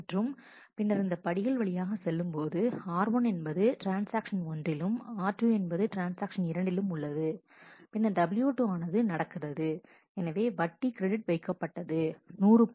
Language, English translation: Tamil, And then go through these steps r 1 is in transaction 1 r 2 is in transaction 2, then w 2 happens so, the interest is credit 100